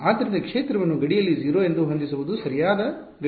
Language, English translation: Kannada, So, setting the field to be 0 on the boundary is not the correct boundary condition